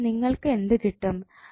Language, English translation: Malayalam, So, what you get